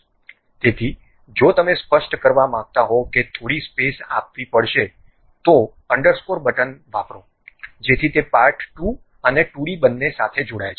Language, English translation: Gujarati, So, if you want to really specify some space has to be given use underscore button, so that that joins both the part2 and 2d thing